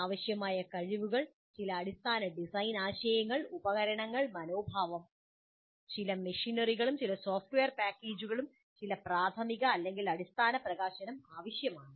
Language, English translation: Malayalam, The competencies required, some basic design concepts, tools, attitude, even some machinery and some software packages, some elementary exposure, basic exposure would be required